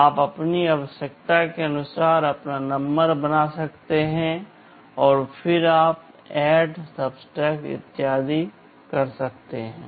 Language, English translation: Hindi, You can make your number as per your requirement and then you can do ADD, SUB, etc